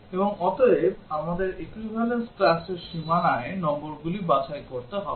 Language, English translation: Bengali, And therefore, we have to pick numbers at the boundary of the equivalence classes